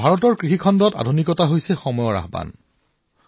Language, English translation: Assamese, Modernization in the field of Indian agriculture is the need of the hour